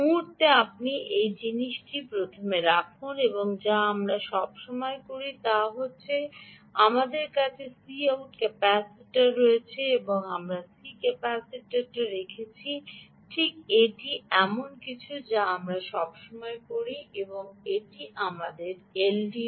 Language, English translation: Bengali, ok, moment you put this, the first thing we always do is, we have a c out capacitor and we put a c in capacitor, right, this is something that we always do and this is our l d o